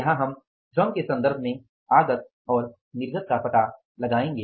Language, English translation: Hindi, Here we have to find out the input and output with regard to the labor